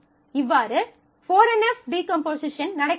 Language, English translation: Tamil, So, you have a total 4 NF decomposition happening